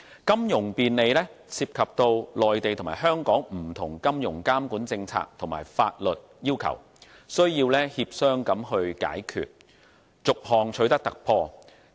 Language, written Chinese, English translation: Cantonese, 金融便利涉及內地和香港的不同金融監管政策和法律要求，需要協商解決，逐項取得突破。, Financing convenience involves different financial regulatory policies and legal requirements between the Mainland and Hong Kong . These hurdles have to be overcome one by one through negotiation